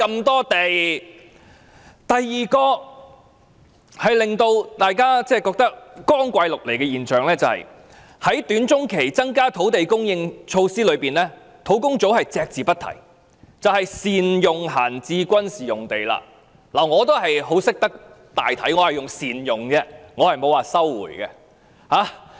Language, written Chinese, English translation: Cantonese, 第二個令人覺得光怪陸離的現象是，在短中期增加土地供應措施中，土地供應專責小組隻字不提的選項，便是善用閒置軍事用地。我也很懂得大體，我說"善用"而不是說"收回"。, The second bizarre phenomenon is that in explaining the short - to - medium term options to provide additional land supply the Task Force did not mention a single word on the option of utilizing idle military sites and I already have taken into account the overall situation in suggesting utilizing instead of resuming these sites